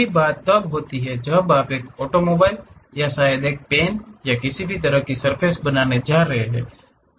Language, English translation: Hindi, Same thing happens when you are going to create an automobile or perhaps a pen or any kind of surface